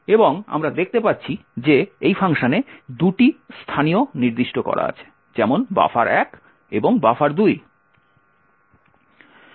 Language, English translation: Bengali, using this command info locals and we see that there are 2 locals specified in this function, so buffer 1 and buffer 2